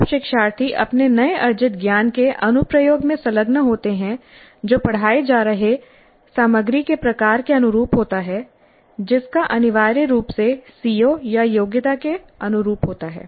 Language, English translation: Hindi, So when learners engage in application of their newly acquired knowledge that is consistent with the type of content being taught which essentially means consistent with the CBO or competency